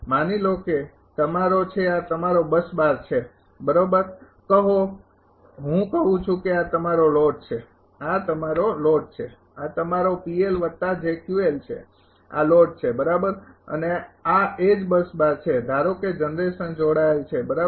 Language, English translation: Gujarati, Suppose this is your this is your bus bar right say bus i say this is your load this is your load, this is your P L plus j Q L this is the load right and this is same bus bar suppose generation is connected right